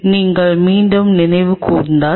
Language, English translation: Tamil, So, if you recollect back